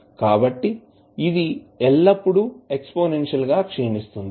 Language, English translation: Telugu, So, it will always be exponentially decaying